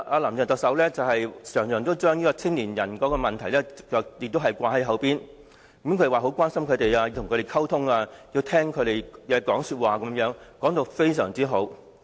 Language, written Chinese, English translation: Cantonese, "林鄭"特首經常把年青人的問題掛在口邊，說她很關心他們，要與他們溝通，以及聽取他們的意見等；說得非常動聽。, Chief Executive Carrie LAM often mentions youth issues and says she cares a lot about young people and want to communicate with them and listen to their views . These are all pleasantries